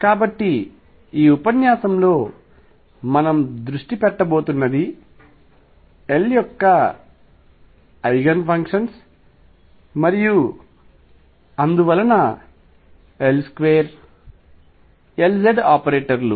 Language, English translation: Telugu, So, what we are going to focus on in this lecture are the Eigenfunctions of L and therefore, L square and L z operators